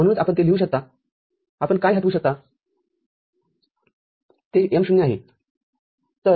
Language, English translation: Marathi, So that is why you can just write it you can remove the phi that is M0